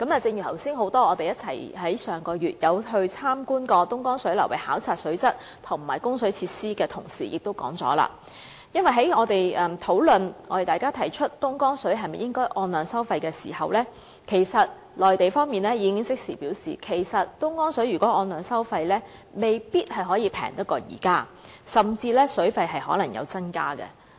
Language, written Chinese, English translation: Cantonese, 正如剛才很多在上個月曾一起前往東江流域，考察水質和供水設施的同事所提到，在討論應否就東江水的供應按量收費時，內地方面已即時表示，如就東江水按量收費，水價未必較現在便宜，甚至可能會有所增加。, Just as many of our colleagues who went together to learn about the water quality and water supply facilities in the Dongjiang River Basin mentioned just now when discussing whether the supply of Dongjiang water should be charged on the basis of the quantity actually supplied the Mainland side indicated immediately that if the supply of Dongjiang water was to be charged based on actual supply quantity the water cost might not be less than the current one or might even be increased